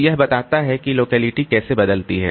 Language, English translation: Hindi, So, that is how the locality changes